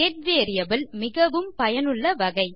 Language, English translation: Tamil, Get variable is a very useful variable type